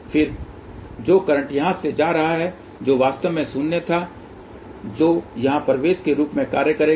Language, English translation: Hindi, And then the current which is leaving here which was actually minus which will act as a entering here